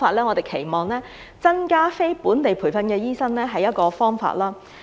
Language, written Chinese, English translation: Cantonese, 我們期望增加非本地培訓的醫生，這是一個方法。, We hope to increase the number of non - locally trained doctors which is one of the solutions